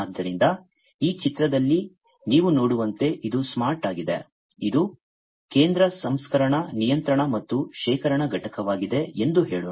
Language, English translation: Kannada, So, let us say that in this figure as you can see this is the smart, this is the central processing controlling and storage unit